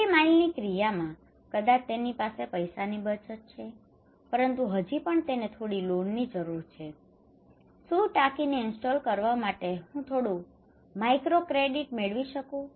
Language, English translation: Gujarati, Last mile action maybe he has money savings, but still he needs some loan, can I get some microcredit to install the tank right